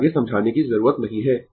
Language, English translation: Hindi, So, no need to explain further